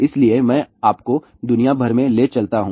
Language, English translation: Hindi, So, let me take you around the world